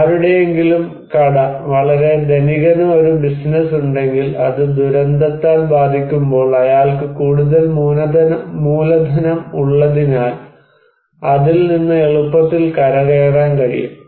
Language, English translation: Malayalam, If someone's shop, a very rich person has a business, it is affected by disaster, he can easily recover from that because he has greater capital